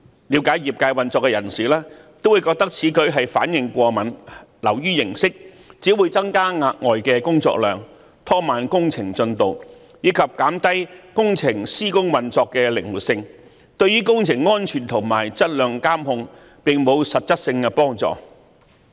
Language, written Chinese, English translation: Cantonese, 了解業界運作的人士均覺得此舉是反應過敏，流於形式，只會增加額外的工作量，拖慢工程進度，以及減低工程施工運作的靈活性，對於工程安全和質量監控並沒有實質幫助。, People familiar with the operation of the sector consider this suggestion an overreaction nothing more than a mere formality which will only generate additional workload hinder work progress reduce the flexibility in the implementation of works without much no concrete help to the safety and quality control of works